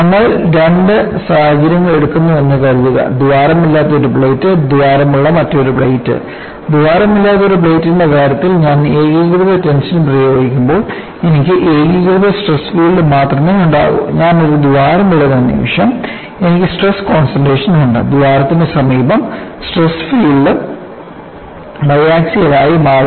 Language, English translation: Malayalam, Suppose you take two situations: one plate without a hole, and another plate with the hole; when I apply uniaxial tension in the case of a plate without a hole,I would have only uniaxial stress field; the moment I put a hole, I have stress concentration, and in the vicinity of the hole,the stress filed becomes bi axial